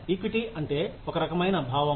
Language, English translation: Telugu, Equity means, a sense of fairness